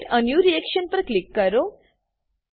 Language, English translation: Gujarati, Click on Create a new reaction